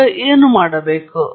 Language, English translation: Kannada, Now, what do I do